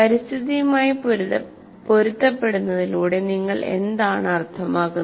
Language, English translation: Malayalam, What do we mean by accustoming to the environment